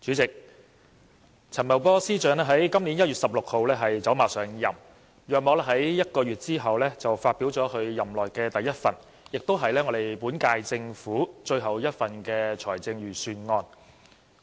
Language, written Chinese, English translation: Cantonese, 主席，陳茂波司長在今年1月16日走馬上任，並在約1個月後發表其任內的第一份，亦是本屆政府的最後一份財政預算案。, President Financial Secretary Paul CHAN took office on 16 January this year and delivered the first Budget in his term of office about one month later which is also the last Budget of the current Government